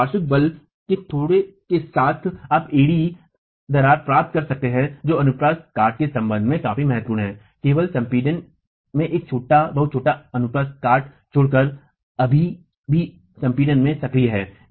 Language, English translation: Hindi, So, with a little bit of lateral force you can get the heel cracking that is going to be significant enough with respect to the cross section, leaving only a very small cross section in compression, still active in compression